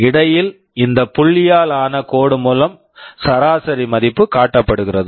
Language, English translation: Tamil, The average value is shown by this dotted line in between